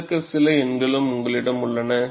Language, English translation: Tamil, You also have some numbers given to this